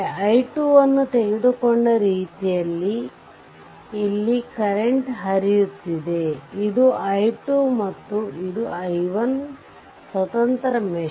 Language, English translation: Kannada, So, this is open so, current is flowing like this here the way I have taken i 2, this is i 2 and this is your i 1 2 independent mesh